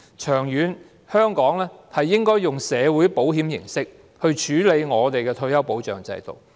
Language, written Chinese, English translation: Cantonese, 長遠而言，香港應該採用社會保險的形式來處理退休保障制度。, In the long run Hong Kong should use some form of social insurance to tackle its retirement protection system